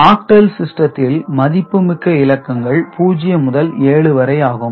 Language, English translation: Tamil, So, octal the valid digits are 0 to 7 only